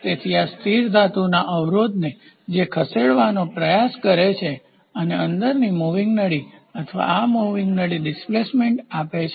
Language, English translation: Gujarati, So, this is the fixed metal blocks tries to move and the inside the moving tube or this moving tube gives a displacement